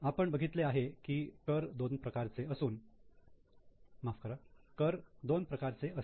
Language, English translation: Marathi, We have seen there are two types of tax